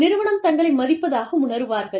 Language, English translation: Tamil, They feel valued, by the organization